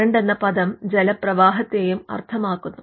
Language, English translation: Malayalam, Current can also mean flow of water